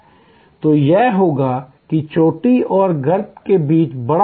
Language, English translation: Hindi, So, it will be there was big gap between peak and trough